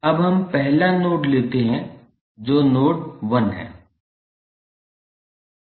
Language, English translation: Hindi, Now, let us take the first node that is node 1